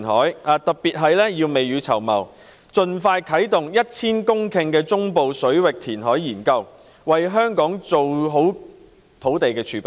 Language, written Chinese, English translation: Cantonese, 正因收地不易，我們更要未雨綢繆，盡快啟動 1,000 公頃中部水域填海研究，為香港做好土地儲備。, We have an even greater need to think ahead and commence as soon as possible the study on the 1 000 - hectare reclamation project in the central waters to prepare for the land reserve of Hong Kong